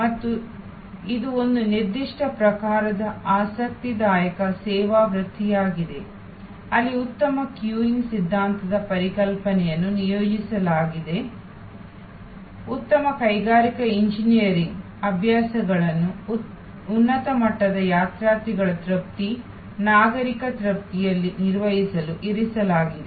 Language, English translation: Kannada, And this is an interesting service vocation of a particular type, where good queuing theory concepts have been deployed, good industrial engineering practices have been put in to manage the service at a higher level of pilgrim satisfaction, citizen satisfaction